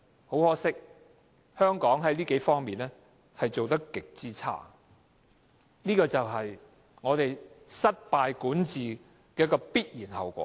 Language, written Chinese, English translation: Cantonese, 很可惜，香港在這數方面做得極差，這就是政府管治失敗的必然後果。, Hong Kongs performances in these areas as an inevitable result of failed governance are deplorable regrettably